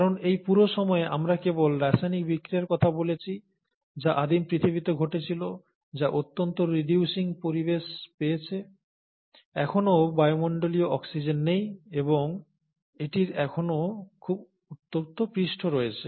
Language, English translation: Bengali, Because all this while, we are just talking about chemical reactions which are happening in a primordial earth, which has got a highly reducing environment, still doesn't have atmospheric oxygen, and it still has a very hot surface